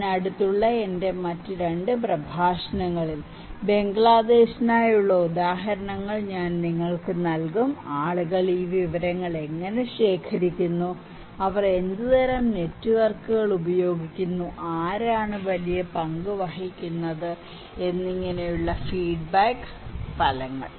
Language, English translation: Malayalam, In my 2 other lectures next to that, I would then give you the examples for Bangladesh, the results that feedbacks that how people collect this information, what kind of networks they use and who play a bigger role, okay